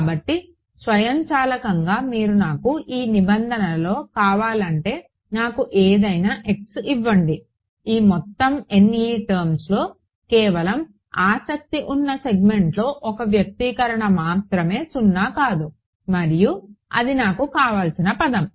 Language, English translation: Telugu, So, it automatically you give me the correct give me any x you want of these N e terms only one expression will be non zero in the segment of interest and that is the term that I want